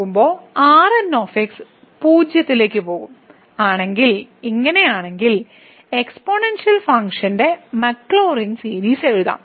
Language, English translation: Malayalam, If this is the case if goes to 0 as goes to infinity, then we can write down the Maclaurin series of exponential function